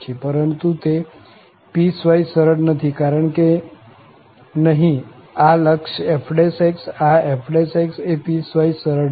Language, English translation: Gujarati, But it is not piecewise smooth because here, this limit f prime , the f prime is not piecewise smooth